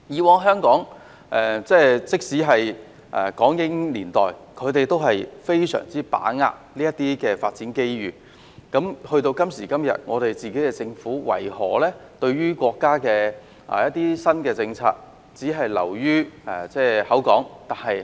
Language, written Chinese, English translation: Cantonese, 過去，包括在港英年代，香港善於把握發展機遇；到了今天，為何香港政府對於國家的新政策只是流於空談？, In the past including the colonial era Hong Kong was good at seizing development opportunities . Why does the Hong Kong Government only pay lip service to the countrys new policies nowadays?